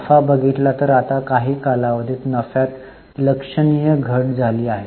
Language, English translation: Marathi, If you look at the profit, now there is a significant fall in the profit over the period of time